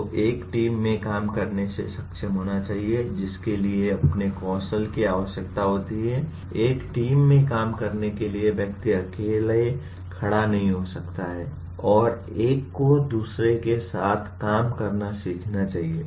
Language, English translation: Hindi, So one should be able to work in a team which requires its own skills, to work in a team one cannot take a very hard independent stand and that one should learn to work with others